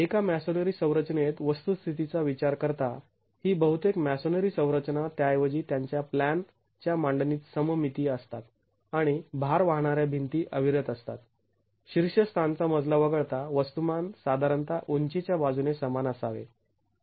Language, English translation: Marathi, In a masonry structure, considering the fact that most masonry structures are rather symmetrical in their plan layouts and load bearing walls are continuous, the mass should typically be quite similar along the height except for the topmost story